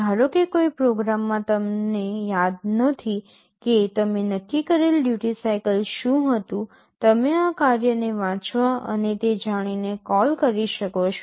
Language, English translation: Gujarati, Suppose, in a program you do not remember what was the duty cycle you had set, you can call this function read and know that